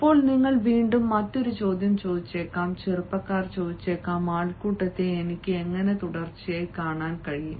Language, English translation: Malayalam, now there may be another question again which you youngsters may ask: how can i look continuously at the crowd or continuously at one section